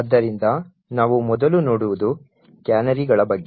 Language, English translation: Kannada, So, the first thing we will look at is that of canaries